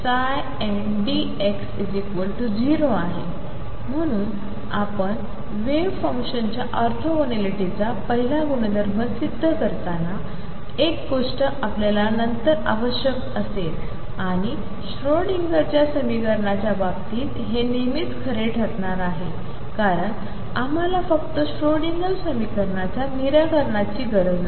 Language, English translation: Marathi, Therefore, you prove the first property of orthogonality of the wave functions, that is one thing we will require later and this is always going to be true in the case of Schrodinger’s equation because we require nothing just the solutions of the Schrodinger equation